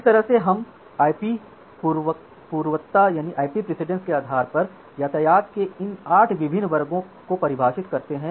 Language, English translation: Hindi, So, that way we define these 8 different classes of traffic based on the IP precedence